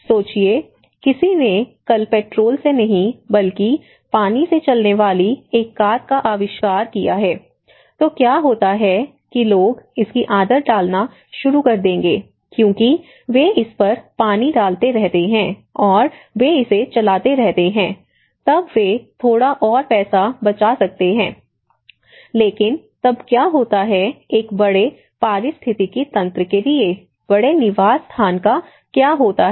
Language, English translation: Hindi, Imagine, someone has invented tomorrow a car driven with just water, not with petrol, so what happens people will start adapting because they keep putting water on it and they keep driving it, then they can save a little bit more money but then what happens to a larger ecosystem, what happens to the larger habitat